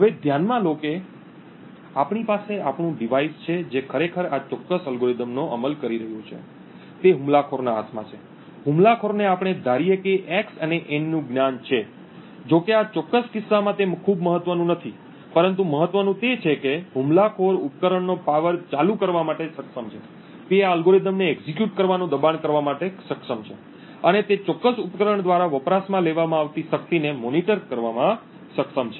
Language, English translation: Gujarati, Now consider that we have our device which is actually implementing this particular algorithm is in the hands of the attacker, the attacker let us assume has knowledge of x and n although in this particular case it is not very important, but what is important is that the attacker is able to power ON the device, he is able to force this algorithm to execute and he is able to monitor the power consumed by that particular device